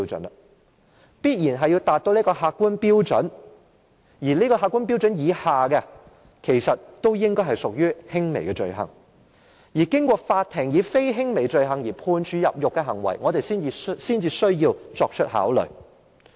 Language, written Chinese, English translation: Cantonese, 有關行為必然要符合這個客觀標準，在這個客觀標準以下的，均應屬於輕微罪行，而對於經過法庭以非輕微罪行而判處入獄的行為，我們才需要作出考慮。, The behaviour in question must meet this objective criterion . Other behaviour falling short of this objective criterion should be regarded as a minor offence . We are only required to consider behaviour which is regarded as a non - minor offence and sentenced for imprisonment by the Court